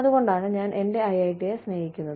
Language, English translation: Malayalam, And, that is why, I love my IIT